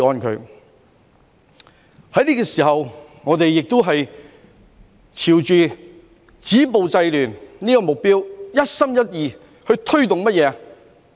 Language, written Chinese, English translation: Cantonese, 在這個時候，我們也是朝着止暴制亂這個目標，一心一意去推動甚麼？, At this moment we are also working towards the goal of stopping violence and curbing disorder . What are we dedicatedly driving forward?